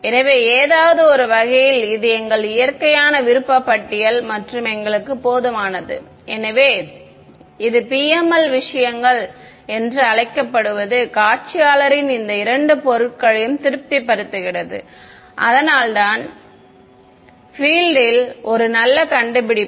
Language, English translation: Tamil, So, in some sense, this is our wish list and nature is kind enough for us that this so called PML things it satisfies both these items of the visualist which is why it was a very good discovery in the field